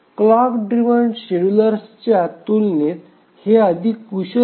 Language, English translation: Marathi, Compared to the clock driven schedulers, these are more proficient